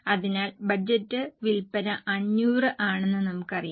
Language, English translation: Malayalam, So, we know that budgeted sales are 500